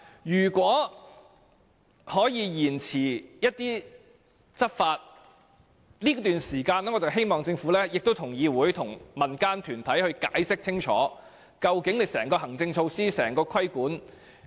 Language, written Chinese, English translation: Cantonese, 如果可以延遲執法，我希望政府在這段時間內向議會和民間團體清楚解釋相關的行政措施，以及如何執行規管。, If the enforcement of the legislation can be deferred I hope that the Government would explain clearly to this Council and the civil groups the relevant administrative measures and how regulation will be enforced